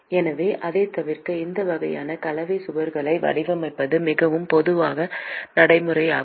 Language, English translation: Tamil, So, in order to avoid that, it is a very common practice to design these kinds of composite walls